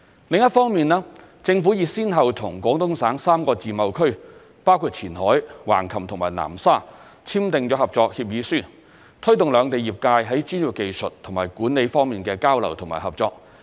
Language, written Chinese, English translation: Cantonese, 另一方面，政府已先後與廣東省3個自貿區，包括前海、橫琴和南沙簽訂合作協議書，推動兩地業界在專業技術和管理方面的交流和合作。, On the other hand the Government has signed cooperation agreements with the three free trade zones in the Guangdong Province including Qianhai Hengqin and Nansha with a view to promoting exchanges and cooperation in terms of technical expertise and management between the relevant industries of the two places